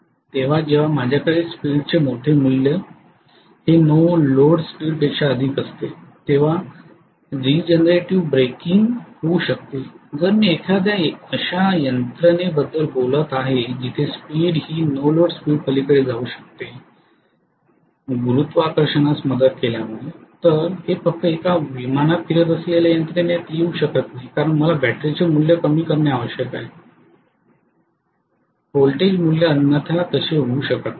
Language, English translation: Marathi, So when I am going to have a larger value of speed even more than no load speed that is when regenerative breaking can take place if I am talking about a mechanism where the speed can go beyond no load speed because of aiding of gravity, it cannot happen in a mechanism where it is just moving on a plane right because I need to necessarily reduce the battery value, the voltage value otherwise it cannot happen